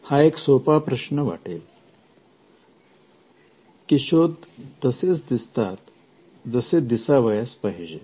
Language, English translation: Marathi, This may look like a simple question; an invention will look how it is meant to look